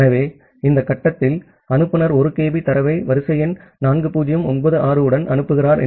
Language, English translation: Tamil, So, at this stage say the sender is sending 1 kB of data with sequence number 4096